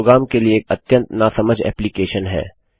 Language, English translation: Hindi, This is quite a silly application for a program